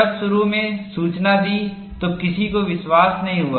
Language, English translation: Hindi, When initially reported, nobody believed it